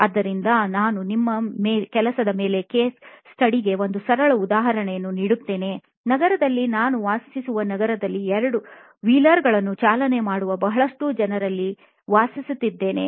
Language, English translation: Kannada, So, I will give you a simple example of case study that I worked on myself is that in the city that I live in a lots of people who ride 2 wheelers powered